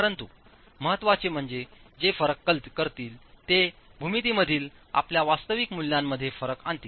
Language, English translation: Marathi, But importantly, they would make differences, they would bring about differences in your actual values in the geometry